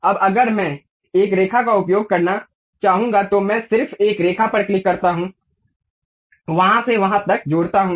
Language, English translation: Hindi, Now, if I would like to use a line, I just click a line, connect from there to there